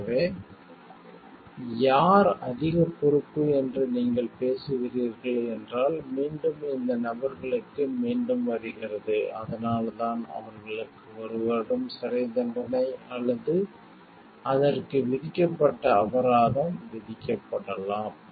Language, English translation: Tamil, So, if you are talking of who is more responsible maybe they again it comes back to these people and, that is why this may be imprisonment for one year in jail, or the your the fine which is been imposed on it